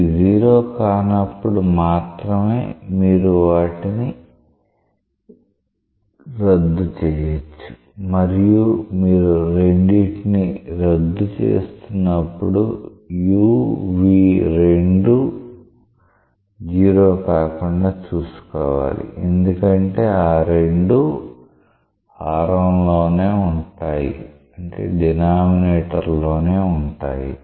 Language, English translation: Telugu, So, if these are non zero, then only you may cancel out this and when you are cancelling out both you are ensuring that u v both are nonzero because both appear in the denominator